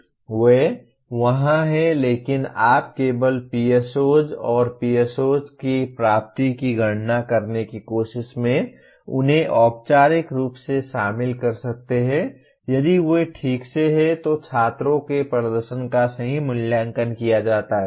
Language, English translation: Hindi, They are there but you can only include them formally in trying to compute the attainment of POs and PSOs if they are properly, the performance of the students is properly evaluated